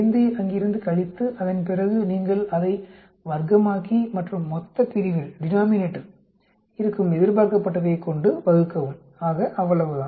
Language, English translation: Tamil, 5 from there and then after that you square it up and divide expected in the denominator, so that is all